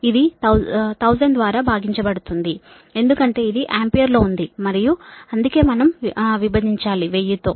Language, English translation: Telugu, this one divide by thousand, because this is in ampere and that's why we have divide by thousand